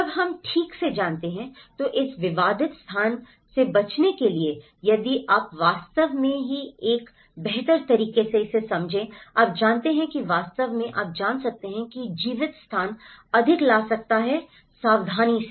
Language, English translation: Hindi, When we know properly, that in order to avoid this conflicted space if you actually understand this better, you know, that can actually you know bring the lived space more carefully